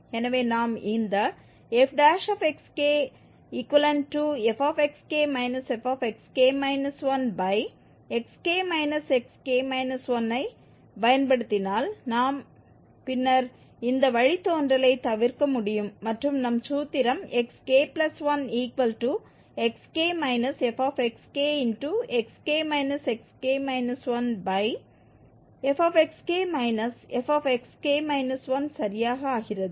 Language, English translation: Tamil, So, if we use this f prime x by this quotient f xk minus f xk minus 1 over xk minus xk minus 1 then we can avoid this derivative and our formulation becomes exactly xk plus 1 is equal to xk minus this f xk, xk minus xk and then this difference f xk minus f xk minus 1